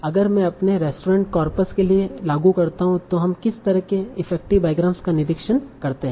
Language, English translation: Hindi, So if I apply this for my restaurant corpus, so what kind of effective bygrams do we observe